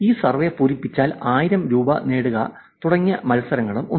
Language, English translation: Malayalam, And there were also contests, win 1000 Rupees for filling on this survey